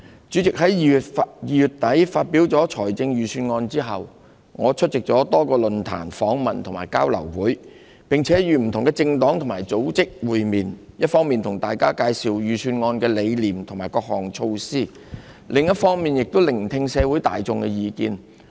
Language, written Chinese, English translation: Cantonese, 主席，在2月底發表預算案後，我出席了多個論壇、訪問和交流會，並與不同的政黨和組織會面，一方面向大家介紹預算案的理念和各項措施，另一方面也聆聽社會大眾的意見。, President following the presentation of the Budget at the end of February I have attended various forums interviews and exchange sessions and met with different political parties and organizations explaining to the public the propositions of the Budget and its various measures on the one hand and gauging the views in the community on the other